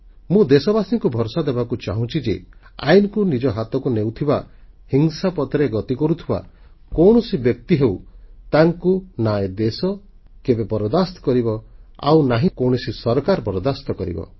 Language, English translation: Odia, I want to assure my countrymen that people who take the law into their own handsand are on the path of violent suppression whether it is a person or a group neither this country nor any government will tolerate it